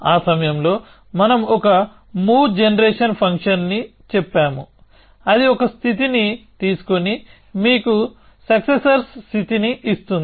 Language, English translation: Telugu, So, that time we said there is a move generation function, which takes a state and gives you successors state